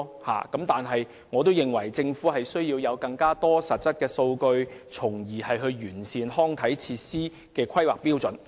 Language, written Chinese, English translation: Cantonese, 不過，我認為政府需要搜集更多實質數據，從而完善康體設施的規劃標準。, But I think the Government needs to collect more concrete statistics so as to improve the planning standards for recreational facilities